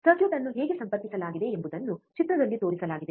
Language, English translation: Kannada, How the circuit is connected is shown in figure